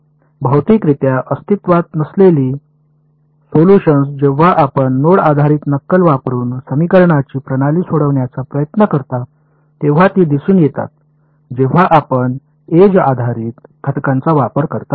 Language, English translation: Marathi, Solutions which physically do not exist, but they appear when you try to solve the system of equations using node based those go away when you used edge based elements right